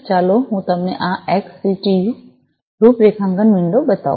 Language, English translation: Gujarati, let me show you, this XCTU configuration windows